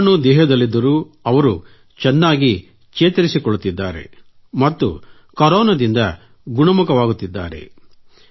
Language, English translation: Kannada, Despite the virus being inside their bodies, they are getting well; they are recovering out of the Corona virus